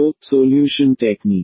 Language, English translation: Hindi, So, the solution techniques